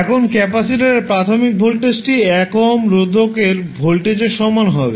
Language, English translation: Bengali, Now initial voltage across the capacitor would be same as the voltage across 1 ohm resistor